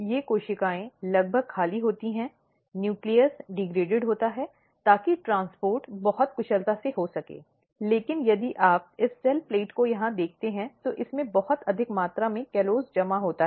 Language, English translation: Hindi, And another things that these cells are almost empty nucleus is degraded, so that the transport can occur very efficiently, but if you look this cell plate here, it has a very high amount of callose accumulated